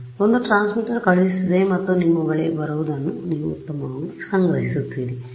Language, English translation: Kannada, So, one transmitter sends and you collect back what is coming to you which is better